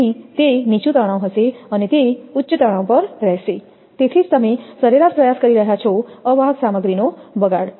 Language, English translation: Gujarati, So, it will be lower stress and it will be at higher stress, that is why you are trying to mean that wastage of insulating materials